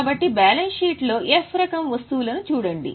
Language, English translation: Telugu, So, go to balance sheet, look at F type of items